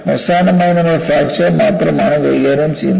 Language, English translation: Malayalam, See, finally, we are only dealing with fracture